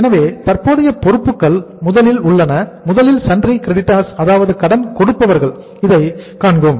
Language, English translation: Tamil, So current liabilities are first, we will see the number one is the sundry creditors